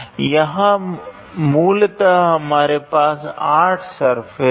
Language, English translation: Hindi, Here we have basically 8 surfaces